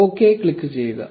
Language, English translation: Malayalam, So, click OK